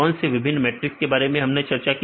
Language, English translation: Hindi, What are different matrices we discussed